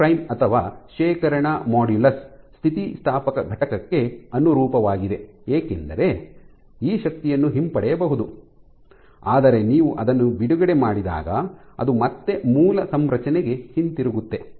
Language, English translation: Kannada, So, G prime or the storage modulus corresponds to the elastic component this corresponds to the elastic component and it is called the storage modulus because this energy can be retrieved when you release it you again go back to the original configuration